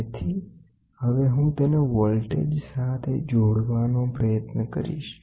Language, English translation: Gujarati, So now, I should try to attach it with the voltage